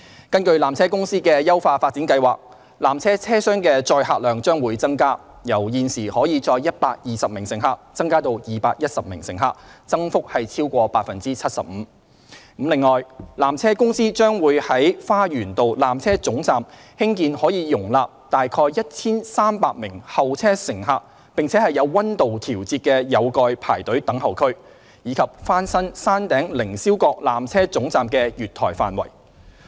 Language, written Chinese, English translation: Cantonese, 根據纜車公司的優化發展計劃，纜車車廂的載客量將會增加，由現時可載120名乘客增至210名乘客，增幅超過 75%。此外，纜車公司將在花園道纜車總站興建可容納約 1,300 名候車乘客且有溫度調節的有蓋排隊等候區，以及翻新山頂凌霄閣纜車總站的月台範圍。, Under the upgrading plan PTC will increase the tramcar capacity by over 75 % from 120 passengers to 210 passengers; construct a covered temperature - controlled queuing and waiting area for about 1 300 passengers at the Lower Terminus at Garden Road; and renovate the platform areas of the Upper Terminus